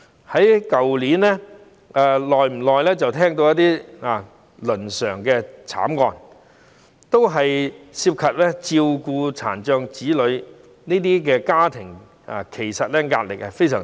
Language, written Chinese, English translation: Cantonese, 去年，不時有倫常慘劇發生，大多涉及照顧殘障子女的家庭，其實這些家庭的壓力非常大。, Last year family tragedies happened from time to time and most of them involved families that need to take care of children with disabilities . In fact these families are under tremendous pressure